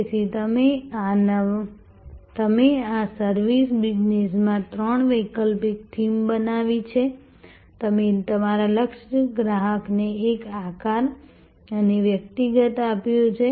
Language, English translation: Gujarati, So, you have created therefore three alternative themes of the new service business, you have given a shape and personality to your target customer